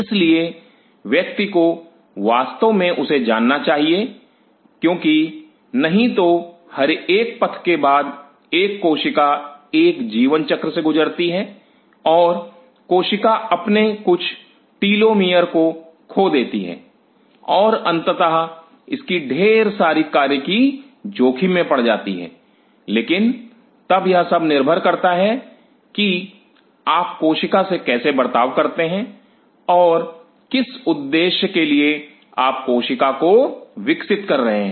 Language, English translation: Hindi, So, one really has to know that because otherwise through every passage a cell goes through a life cycle and the cell loses some of its telomere and eventually lot of its function kind of gets compromised, but then it all depends how you want to treat the cell and for what purpose you are growing the cell